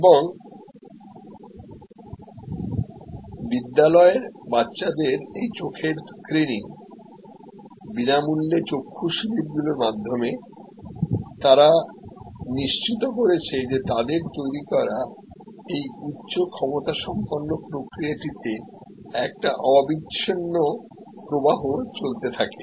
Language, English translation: Bengali, And thereby through this eye screening of school children, free eye camps they have ensured that there is a continuous flow into this high capacity process which they had created